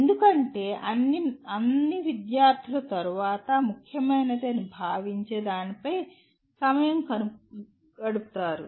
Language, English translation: Telugu, Because after all the student will spend time on what is considered important